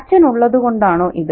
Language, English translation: Malayalam, Is this because the father is around